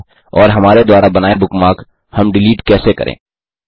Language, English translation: Hindi, And how do we delete a bookmark we created